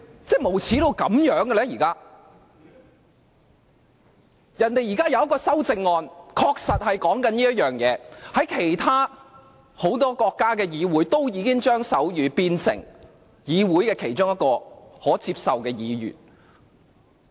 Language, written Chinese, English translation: Cantonese, 張議員提出的修訂建議之一，正正與此事有關，而很多國家的議會均已把手語定為議會其中一種可接受的語言。, One of Dr CHEUNGs proposed amendments is directly related to this issue . The parliaments of many countries have already specified sign language as one of the acceptable languages